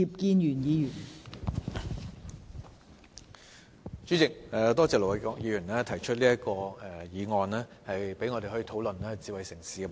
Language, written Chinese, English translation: Cantonese, 代理主席，多謝盧偉國議員提出這項議案，讓我們有機會討論智慧城市的問題。, Deputy President I would like to thank Ir Dr LO Wai - kwok for proposing this motion so that we have the opportunity to discuss the subject of smart city